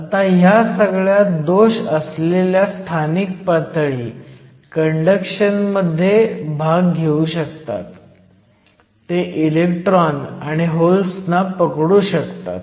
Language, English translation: Marathi, Now all these localized defect states can also take part in conduction, they can essentially trap the electrons and holes